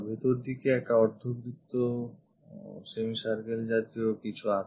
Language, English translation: Bengali, Inside there is a semi circle kind of thing